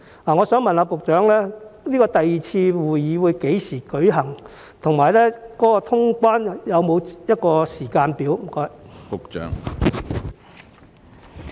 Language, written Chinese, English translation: Cantonese, 我想問局長，第二次會議將於何時舉行，以及通關有否時間表？, I would like to ask the Secretary when the second meeting will be held and whether there is a timetable for the resumption of quarantine - free travel